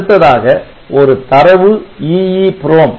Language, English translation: Tamil, So, or we can have this data EEPROM